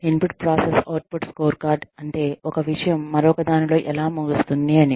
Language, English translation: Telugu, Input process output scorecard is, how one thing, ends up in another